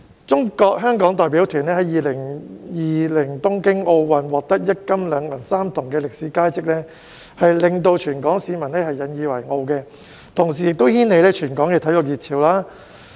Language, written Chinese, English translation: Cantonese, 中國香港代表團在2020年東京奧運獲得一金、兩銀、三銅的歷史佳績，令全港市民引以為傲，同時亦掀起全港的體育熱潮。, The Hong Kong China delegation achieved historic results of winning one gold two silver and three bronze medals in the Tokyo 2020 Olympic Games which not only made Hong Kong people proud but also created a sports fever in Hong Kong